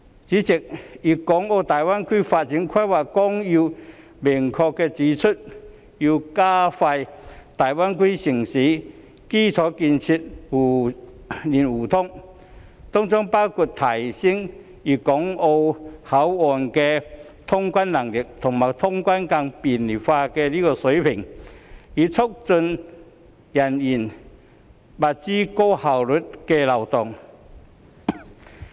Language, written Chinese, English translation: Cantonese, 主席，《粵港澳大灣區發展規劃綱要》明確指出，要加快粵港澳大灣區城市的基礎建設互聯互通，當中包括提升粵港澳口岸的通關能力及通關更便利化水平，以促進人員、物資高效流動。, President the Outline Development Plan for the Guangdong - Hong Kong - Macao Greater Bay Area explicitly highlights the necessity of expediting infrastructural connectivity among various cities in the Guangdong - Hong Kong - Macao Greater Bay Area including enhancing the handling capacity and clearance facilitation of control points in Guangdong Hong Kong and Macao so as to promote an efficient and convenient flows of people and goods